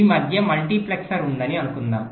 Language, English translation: Telugu, suppose there is a multiplexer in between